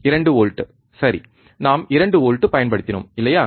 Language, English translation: Tamil, 2 volts, alright so, we applied 2 volts, alright